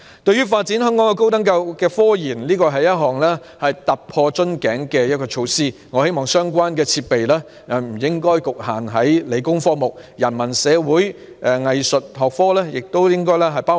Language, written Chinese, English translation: Cantonese, 對於香港高等教育的科研發展，這是一項突破瓶頸的措施，我希望相關設備不應局限於理工科目，也應適用於人文、社會及藝術學科。, The initiative is a breakthrough in respect of RD development in tertiary institutions of Hong Kong . I hope that the relevant equipment will not only be applicable to science and engineering disciplines but also to humanities social and art disciplines